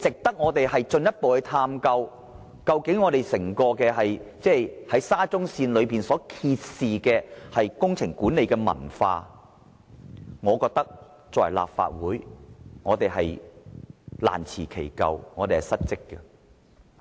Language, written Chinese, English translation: Cantonese, 如果我們未有進一步探究這種做法及沙中線所揭示的工程管理文化，作為立法會議員，我們是難辭其咎及失職的。, As Legislative Council Members we can hardly absolve ourselves of the blame and it is a dereliction of duty on our part for failing to further examine the current practices and the management culture revealed by the SCL project